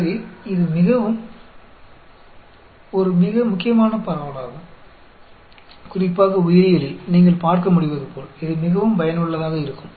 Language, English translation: Tamil, So, this is also a very important distribution to know, especially in the area of biology, as you can see, it is quite useful